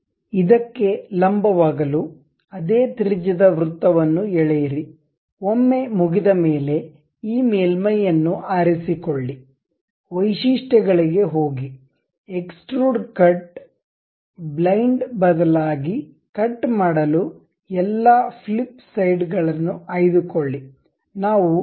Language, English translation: Kannada, For this normal to it, draw a circle of same radius, once done we pick this surface, go to features, extrude cut, instead of blind pick through all flip side to cut